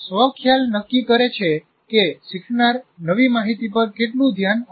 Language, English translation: Gujarati, So self concept determines how much attention, learner will give to new information